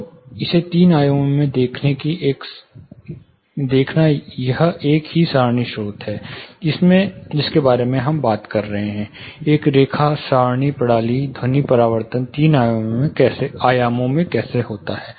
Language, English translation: Hindi, So, looking at it in three dimension this is how say further same, no arras source which we were talking about, a line array system, how the sound reflection happens in three dimension